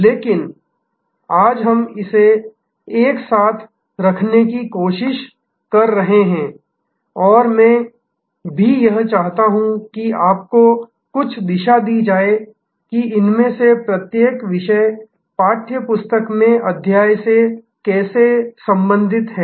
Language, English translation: Hindi, But, today we are trying to put it all together and I also want to at the same time, give you some direction that how each one of these topics relate to chapters in the text book